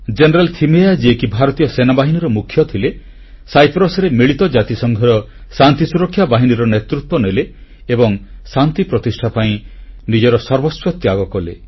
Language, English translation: Odia, General Thimaiyya, who had been India's army chief, lead the UN Peacekeeping force in Cyprus and sacrificed everything for those peace efforts